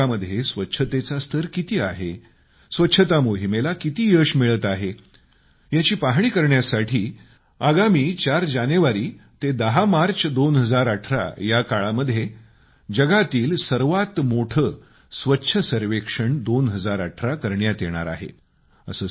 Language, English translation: Marathi, Cleanliness Survey 2018, the largest in the world, will be conducted from the 4th of January to 10th of March, 2018 to evaluate achievements in cleanliness level of our urban areas